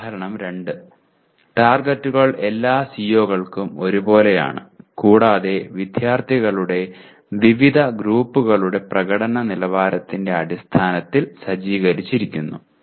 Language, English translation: Malayalam, Example 2, targets are the same for all COs and are set in terms of performance levels of different groups of students